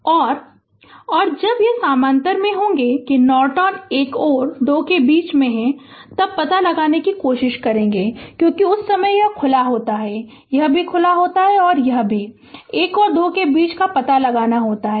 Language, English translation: Hindi, And ah, and when it will be in parallel that, when we will try to find out in between one and two are Norton, because at that time this is open, this is also open and this is also we have to find out between 1 and 2